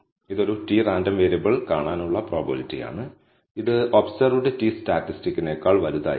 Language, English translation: Malayalam, So, it is the probability of seeing a t random variable, which will be greater than the observed t statistic